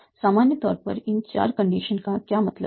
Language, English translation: Hindi, In general, what do they mean these four conditions